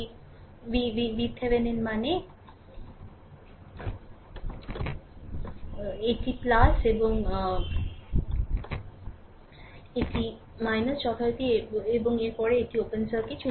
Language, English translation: Bengali, V Thevenin means, this is plus and this is your minus as usual and after this and it is open circuit